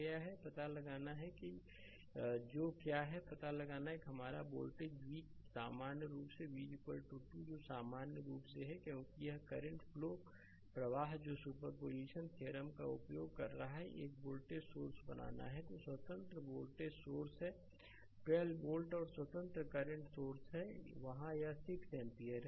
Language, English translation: Hindi, You have to find out what is the what you call; you have to find out that your voltage v in general, v is equal to 2 i that is in general right, because this is current i is flowing using superposition theorem you have to make one voltage source is there, independent voltage source is there 12 volt and one independent current source is there it is 6 ampere right